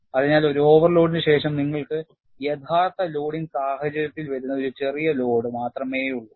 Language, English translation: Malayalam, So, after an overload, you have only a smaller load, that is coming in the actual loading situation